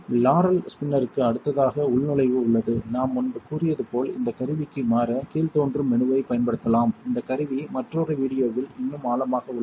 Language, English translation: Tamil, The login is right next to right next to the Laurell spinner and as I said earlier you can use the drop down menu to switch to this tool, this tool is more covered more in depth in another video